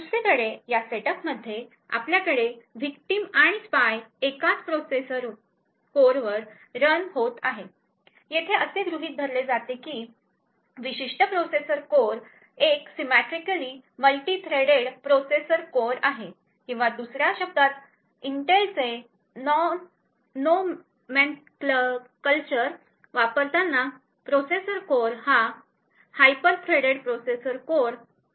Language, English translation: Marathi, In this setup on the other hand we have both the victim and the spy running on the same processor core, the assumption over here is that this particular processor core is a symmetrically multi threaded processor core or in other words when using the Intel’s nomenclature this processor core is a hyper threaded processor core